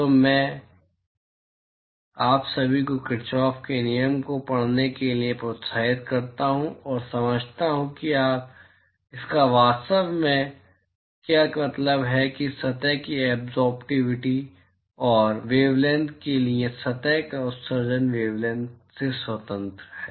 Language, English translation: Hindi, So, I would encourage all of you to you know read Kirchoff’s law and understand what it really means to say that the absorptivity of a surface and the emissivity of a surface for a wavelength is independent of the wavelength